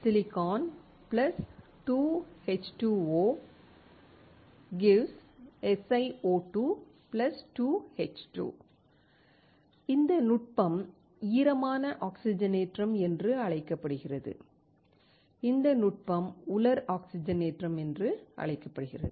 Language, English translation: Tamil, Si + 2H2O > SiO2 + 2H2 This technique is called wet oxidation, this technique is called dry oxidation